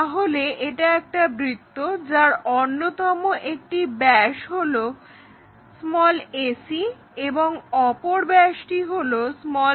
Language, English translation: Bengali, So, here a circle where ac is one of the diameter and bd is the other diameter